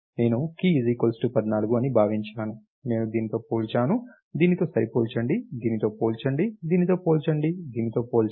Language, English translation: Telugu, So, if I am looking a key equal to let us say 14 then I compare with this, compare with this, compare with this, compare with this, compare with this